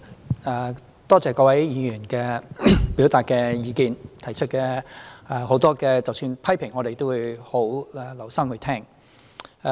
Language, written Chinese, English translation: Cantonese, 主席，多謝各位議員表達的意見，即使很多是批評，我們也會留心聆聽。, President I thank various Members for expressing their opinions . Although many of them are criticisms we will also listen carefully